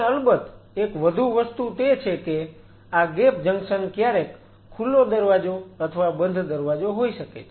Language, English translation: Gujarati, And of course, there is one more thing this gap junction may be sometime gate it or non gate it